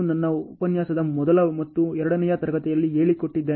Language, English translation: Kannada, This I covered in the first and second class of the lecture ok